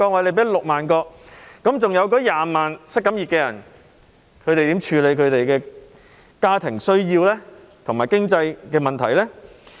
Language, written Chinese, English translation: Cantonese, 那麼20多萬名失業人士要如何處理他們的家庭需要，如何面對經濟問題呢？, If so how can the some 200 000 unemployed persons meet their family needs and face their financial problems?